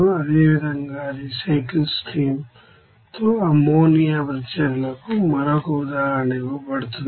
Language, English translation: Telugu, Similarly, another example is given for ammonia reactions with recycle stream